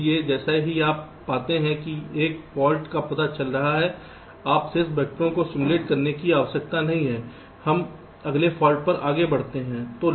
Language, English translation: Hindi, ok, so as soon as you find that a fault is getting detected, you need not simulate to the remaining vectors